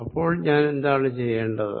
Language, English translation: Malayalam, What would I do then